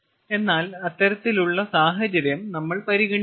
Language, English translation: Malayalam, but that kind of situation we are not considering